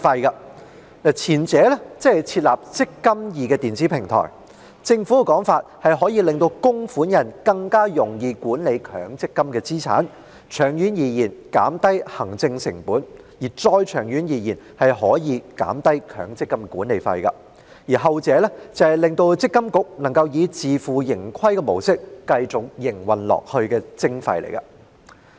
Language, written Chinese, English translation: Cantonese, 關於前者，即設立"積金易"電子平台，政府的說法是可以令供款人更容易管理強積金資產，長遠而言減低行政成本，再長遠一點可以減低強積金計劃管理費；後者則是讓積金局以自負盈虧模式繼續營運下去的徵費。, With regard to the first part that is the establishment of the eMPF Platform the Government argues that the Platform makes it easier for MPF contributors to manage their MPF assets which may help reduce the administration costs in the long run and even reduce the management fees of the MPF schemes in the longer run . As regards ARF it is a levy that allows MPFA to continue to operate on a self - financing basis